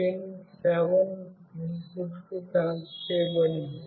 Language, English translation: Telugu, Pin 7 is connected to the input